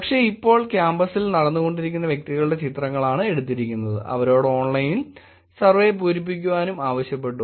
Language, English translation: Malayalam, But now pictures were taken of the individuals walking on the campus, they were asked to fill an online survey